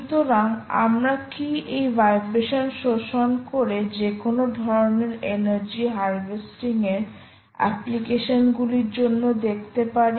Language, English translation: Bengali, so can you actually exploit vibrations and see, use that for any sort of energy harvesting applications